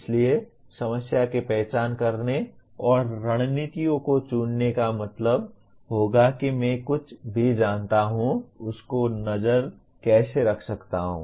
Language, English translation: Hindi, So identifying the problem and choosing strategies would mean how can I keep track of what I know